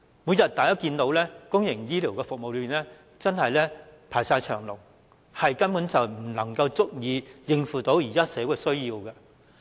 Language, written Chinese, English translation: Cantonese, 大家可見，公營醫療服務每日都是大排長龍，根本不足以應付現時的社會需要。, We can always see long queues for public health care services because they simply cannot meet the demand in society